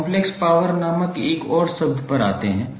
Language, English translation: Hindi, Now let’s come to another term called Complex power